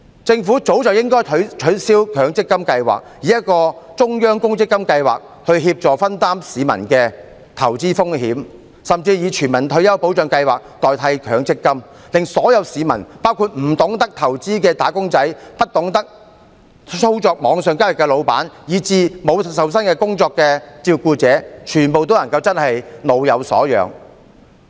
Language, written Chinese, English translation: Cantonese, 政府早該取消強積金計劃，以中央公積金計劃協助分擔市民的投資風險，甚至以全民退休保障計劃代替強積金計劃，令所有市民，包括不懂得投資的"打工仔"、不懂得操作網上交易的僱主，以至沒有受薪工作的照顧者，全部也能夠真正老有所養。, The Government should have long replaced MPF schemes with a centralized provident fund scheme to help shoulder the investment risks of the public or even replaced MPF schemes with the universal retirement protection scheme so that all people including those employees who do not know how to invest those employers who do not know how to operate online transactions and also those carers who do not have paid jobs can really be provided with a sense of security in their old age